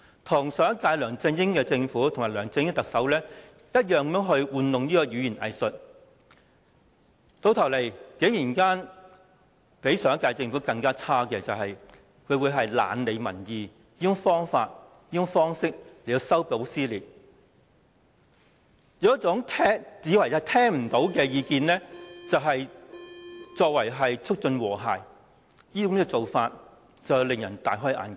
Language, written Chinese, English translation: Cantonese, 她與上屆梁振英特首及其政府同樣玩弄語言"偽術"，結果較上屆政府更差的是，她以"懶理民意"的方式修補撕裂，以"聽不見為淨"的方式促進和諧，做法確實使人大開眼界。, Like her predecessor LEUNG Chun - ying and his administration Carrie LAM has been employing political double - talk . It has turned out that she was even worse than her predecessor trying to resolve dissension by ignoring public opinions and foster harmony by turning a deaf ear which is indeed eye - opening